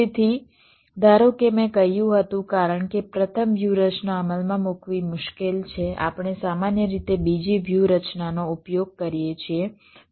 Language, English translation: Gujarati, right, so assume, as i had said, because of difficulty in implementing the first strategy, we typically use the second strategy